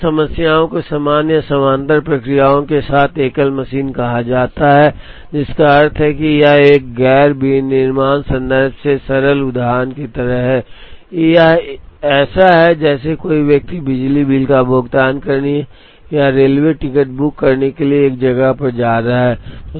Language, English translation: Hindi, Then those problems are called single machine with identical or with parallel processes, which means it is like the simple example from a non manufacturing context is it is like someone going to a to a place to pay electricity bill or to book a railway ticket